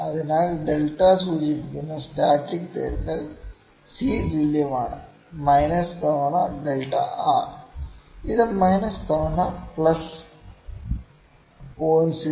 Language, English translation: Malayalam, So, the static correction which is denoted by delta; C is equal to minus times delta R which is equal to minus times plus of 0